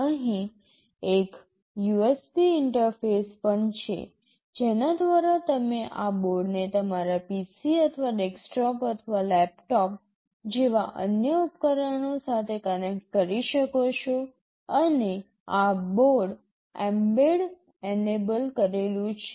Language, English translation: Gujarati, There is also an USB interface out here through which you can connect this board to other devices, like your PC or desktop or laptop, and this board is mbed enabled